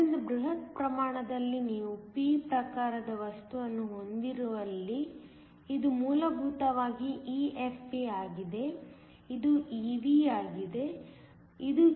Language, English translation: Kannada, So, within the bulk, where you have a p type material this is essentially EFp, this is EV, this is EC